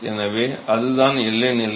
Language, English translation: Tamil, So, that is the boundary condition